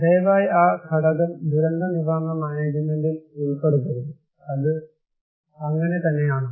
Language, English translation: Malayalam, Please do not incorporate that element in disaster risk management, is it really so